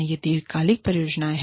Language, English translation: Hindi, These are long term projects